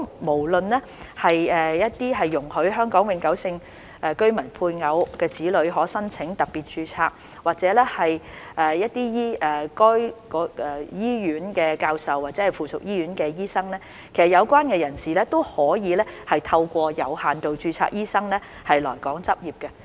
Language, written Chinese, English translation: Cantonese, 無論是容許香港永久性居民配偶及子女可申請特別註冊，或者一些醫院的教授，或附屬醫院的醫生，其實有關人士都可透過有限度註冊醫生的途徑來港執業。, Spouses and children of Hong Kong permanent residents eligible for special registration as well as professors of some hospitals or doctors of affiliated hospitals may all practise in Hong Kong under the limited registration regime